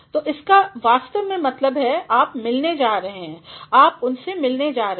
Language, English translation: Hindi, ’ So, that actually means you are going to visit, you are going to meet him